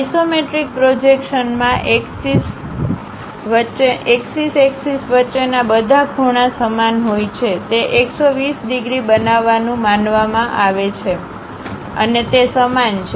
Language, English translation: Gujarati, In isometric projection, all angles between axiomatic axis are equal; it is supposed to make 120 degrees and they are equal